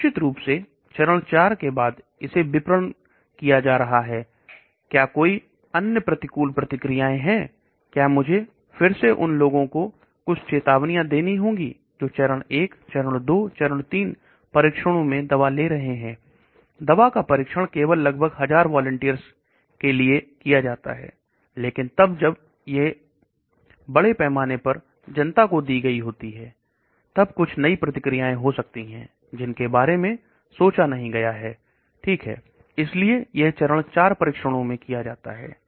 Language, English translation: Hindi, Then of course phase 4, is after it is being marketed, is there are any other adverse reactions; do I have to again give some warnings to people who are taking the drug after all in the phase 1, phase 2, phase 3 trials the drug is tested only for about 1000 volunteers, but then when it is given to public at large there could be some new reactions which has not been thought of okay, so that is done in phase 4 trials